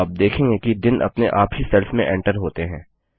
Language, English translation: Hindi, You see that the days are automatically entered into the cells